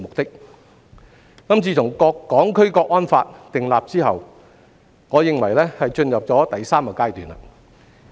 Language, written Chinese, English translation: Cantonese, 自從訂立了《香港國安法》，我認為立法會的情況進入了第三個階段。, In my opinion the situation in the Legislative Council has entered a third stage since the enactment of the National Security Law for Hong Kong